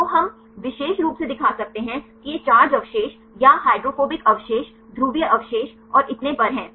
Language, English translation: Hindi, So, we can show specifically these are charge residues or the hydrophobic residues polar residues and so on